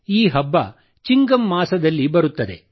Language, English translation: Kannada, This festival arrives in the month of Chingam